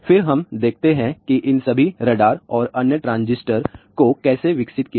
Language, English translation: Hindi, Then let us see how all these radars and other transistors were developed